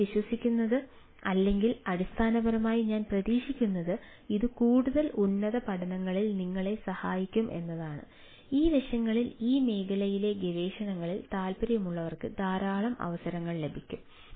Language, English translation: Malayalam, so what i, what i ah believe, or what i, what i ah basically look forward to ah, is that this will help you in ah in further, higher studies in this aspects ah, and also those who are interested in research in this field will find lot of opportunities are there